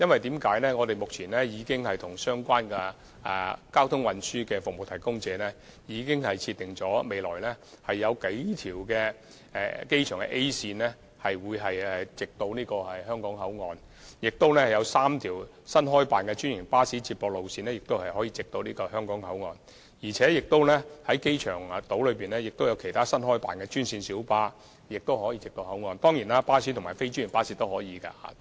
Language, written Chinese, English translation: Cantonese, 當局目前已經與相關交通運輸服務提供者，設定了數條未來的機場 A 線巴士往來香港口岸，亦有3條新開辦的專營巴士接駁路線可以往來香港口岸，機場島亦有其他新開辦的專線小巴往來口岸，巴士及非專營巴士當然也可以往來口岸。, The authorities together with transport service providers have already set several airport A bus routes to HKBCF for future use . There will also be three new feeder bus routes to HKBCF operated by franchised buses and other new green minibuses operating from the airport island to HKBCF . And of course other buses and non - franchised buses can also reach HKBCF